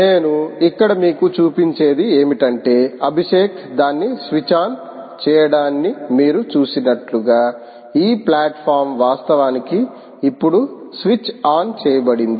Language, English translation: Telugu, what i so show you here is: this platform is actually now switched on, as you have seen, abhishek just switched it on